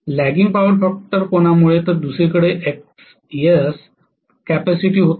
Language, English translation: Marathi, Lagging power factor angle, on the other hand had Xs been capacitive